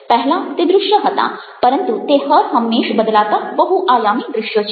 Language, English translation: Gujarati, they were visuals earlier but they are ever changing dynamic visuals